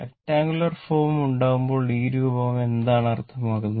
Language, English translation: Malayalam, I mean when you make the rectangular form, I mean this form, right